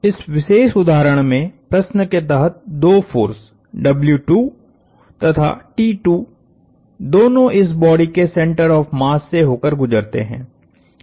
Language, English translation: Hindi, In this particular instance, the two forces under question W 2 and T 2; both pass through the center of mass of this body